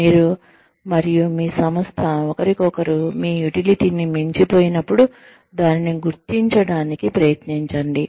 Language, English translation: Telugu, Try to recognize, when, you and your organization, have outlived your utility, for each other